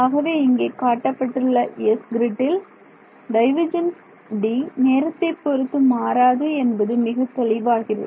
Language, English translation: Tamil, So, over this grid S which I have shown over here, it is clear that del that the divergence of D does not change in time